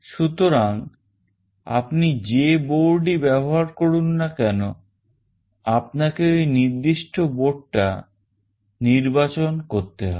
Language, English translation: Bengali, So, whatever board you are using you have to select that particular board